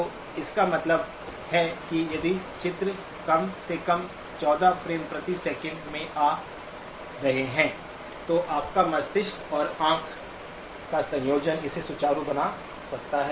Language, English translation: Hindi, So that means if the pictures are coming in at at least at 14 frames per second, then your brain and eye combination can make it look smooth